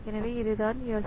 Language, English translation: Tamil, So, that is the prediction